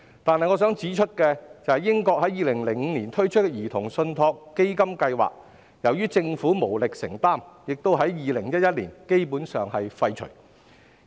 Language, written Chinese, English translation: Cantonese, 不過，我想指出，英國於2005年推出兒童信託基金計劃，但由於政府無力承擔，基本上已於2011年廢除。, However I wish to point out that the Child Trust Fund programme introduced in the United Kingdom in 2005 was basically abolished in 2011 because the British Government could no longer afford it